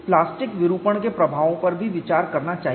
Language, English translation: Hindi, One should also consider effects of plastic deformation